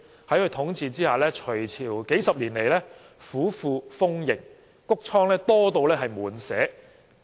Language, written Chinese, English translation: Cantonese, 在他的統治下，隋朝數十年來府庫豐盈，穀倉多至滿瀉。, Under his rule for decades the Sui Dynasty had full coffers and overflowing granaries